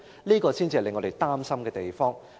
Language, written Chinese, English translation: Cantonese, 這個才是令我們擔心的地方。, It is the very point that worries us the most